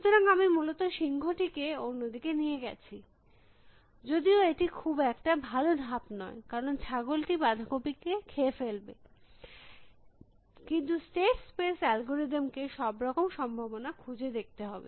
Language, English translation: Bengali, So, I have taken the lion to the other side essentially, it not a very good moves of course, because the goat will eat the cabbage, but the state space algorithm has to search through all possibilities